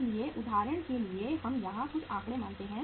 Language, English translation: Hindi, So for example we assume some figures here